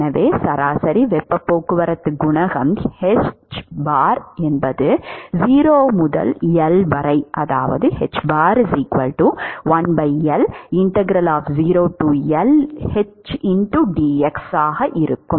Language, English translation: Tamil, So, the average heat transport coefficient hbar will be 1 by L integral between 0 to L